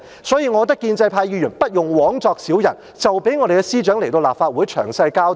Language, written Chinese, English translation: Cantonese, 所以，我認為建制派議員不用枉作小人，就讓司長來立法會作詳細交代。, Therefore in my view the pro - establishment Members should refrain from offering unappreciated help and let the Secretary come to the Legislative Council to give a detailed explanation